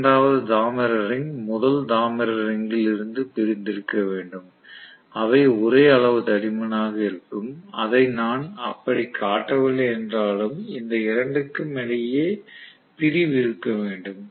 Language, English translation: Tamil, The second copper ring again will be insulated from the first copper ring they will be of same thickness although I have not shown it that way, that should be insulation between these two